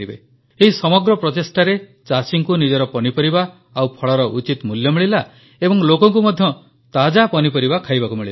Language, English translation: Odia, Through this initiative, the farmers were ensured of a fair price for their produce and fresh vegetables were also available for the buyers